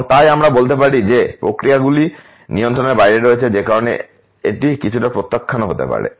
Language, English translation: Bengali, And therefore, we can say that these processes are out of control that may be some rejections because of that